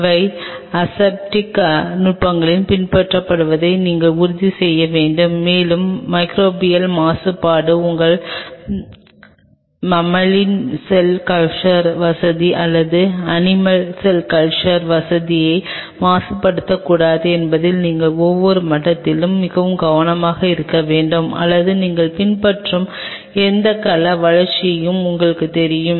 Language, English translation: Tamil, You have to ensure that all the aseptic techniques are being followed and you have to be ultra careful at every level that microbial contamination should not contaminate your mammalian cell culture facility or animal cell culture facility or you know whatever cell cultured you are following